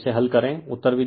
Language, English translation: Hindi, So, you solve it , answers are also given